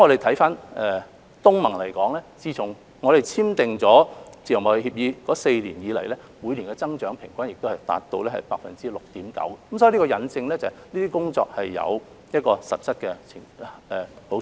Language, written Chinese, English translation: Cantonese, 就東盟而言，自從香港與之簽訂自由貿易協定的4年來，平均每年增長亦達 6.9%， 這引證了以上的工作帶來實質的好處。, With regard to ASEAN the annual trade growth in the four years after signing FTA with Hong Kong also reached 6.9 % on average . This proves that the above mentioned efforts have brought real benefits